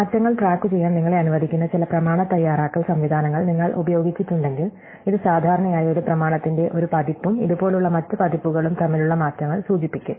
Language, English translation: Malayalam, If you have used certain document preparation systems which allow you to track changes, it will typically indicate the changes between one version of a document and other version like this